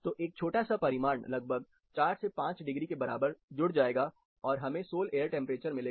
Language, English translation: Hindi, So, a small magnitude say about 4 to 5 degrees will get added up which becomes the sol air temperature